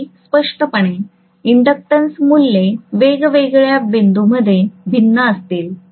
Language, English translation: Marathi, Very clearly, the inductance values will be different in different points